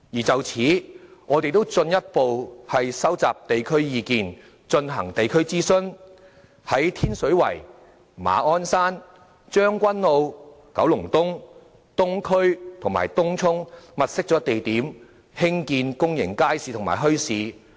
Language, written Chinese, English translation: Cantonese, 就此，我們亦進一步收集地區意見，進行地區諮詢，在天水圍、馬鞍山、將軍澳、九龍東、東區及東涌物色了地點，興建公眾街市及墟市。, In this connection we have also further collected local views and conducted consultation in the communities thus having identified locations in Tin Shui Wai Ma On Shan Tseung Kwan O East Kowloon Eastern District and Tung Chung for building public markets and bazaars